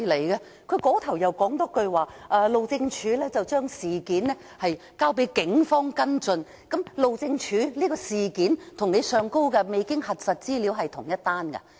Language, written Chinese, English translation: Cantonese, 另一方面又說路政署已將事件交給警方跟進，路政署報案的事件與上面提及未經核實資料的是同一事件嗎？, It is also said that the Highways Department has reported the incident to the Police for follow up . Is the incident reported by the Highways Department to the Police identical to the incident involving unverified information?